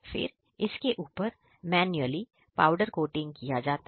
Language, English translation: Hindi, After that we go for manual powder coating